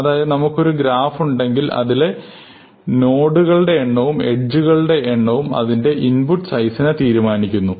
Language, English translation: Malayalam, So, this is a general property of all graphs; if we have a graph then both the number of nodes or vertices and the number of edges will determine the input size